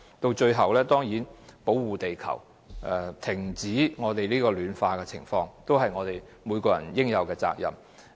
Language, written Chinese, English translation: Cantonese, 到最後，讓每個人負起對保護地球、停止全球暖化惡化所應有的責任。, It is hoped that in the end everyone will take up their own responsibility to protect the Earth and stop the aggravation of global warming